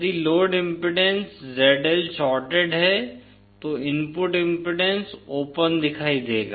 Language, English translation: Hindi, If the load impedance ZL shorted, input impedance will appear to be open